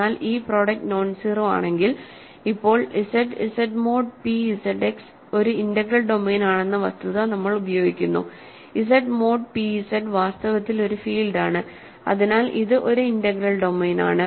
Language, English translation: Malayalam, But if this product is nonzero that means, now, we use the fact that Z, Z mod p Z X is an integral domain, right Z mod p Z is in fact a field, so it is an integral domain